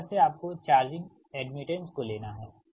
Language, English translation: Hindi, this way you have to consider the charging admittance right